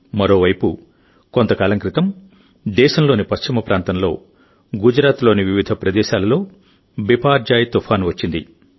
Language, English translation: Telugu, Meanwhile, in the western part of the country, Biparjoy cyclone also hit the areas of Gujarat some time ago